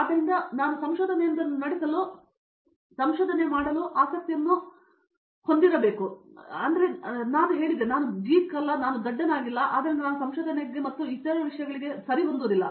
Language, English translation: Kannada, So, my perspective even my dad suggested to go for research, I told no I am not a geek, I am not a nerd, so I am not fit for research and all those things